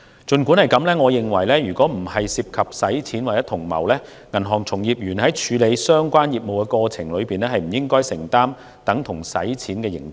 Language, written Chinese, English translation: Cantonese, 儘管如此，我認為如果不涉及洗錢或同謀，銀行從業員在處理相關業務的過程中，不應承擔等同洗錢的刑責。, Notwithstanding this I consider that banking practitioners should in their course of business not be subject to a criminal liability equivalent to that for money laundering if no participation or complicity in money laundering is involved